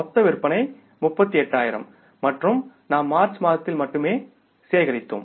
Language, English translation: Tamil, Total sales are 38,000s and we have collected only in the month of March, in the current month is 60%